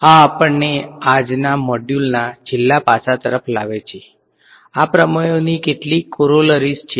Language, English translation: Gujarati, This bring us towards the last aspect of today’s module some Corollaries of these theorems ok